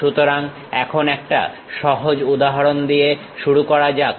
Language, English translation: Bengali, So, now let us begin with one simple example